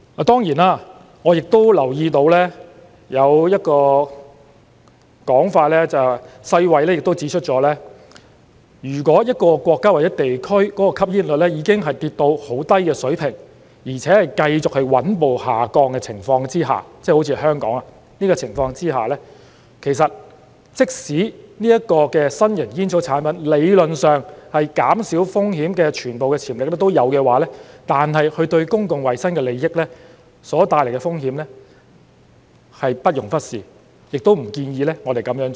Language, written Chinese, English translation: Cantonese, 當然，我亦留意到有一個說法是，世衞亦指出了如果一個國家或地區的吸煙率已經跌至很低水平，而且在繼續穩步下降的情況之下——即好像香港的情況——即使新型煙草產品理論上減少風險的全部潛力都有的話，但它對公共衞生利益所帶來的風險是不容忽視的，亦不建議我們這樣做。, I certainly note the suggestion that as also pointed out by WHO for places that have already achieved a low smoking prevalence and that prevalence continues to decrease steadily just like the case in Hong Kong the risk of novel tobacco products posed to public health benefits cannot be ignored even if these products have the full theoretical risk reduction potential and we are not recommended to do so